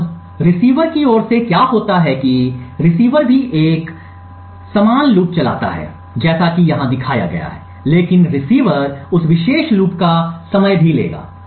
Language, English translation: Hindi, Now what happens on the receiver side is that the receiver also runs a similar loop as shown over here but the receiver would also time that particular loop